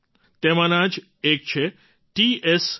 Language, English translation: Gujarati, One of these is T S Ringphami Young